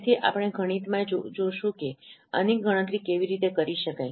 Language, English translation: Gujarati, So we'll see mathematically how this could be computed but this is the idea